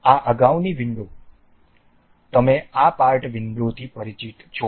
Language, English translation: Gujarati, This the earlier window you are familiar with this part window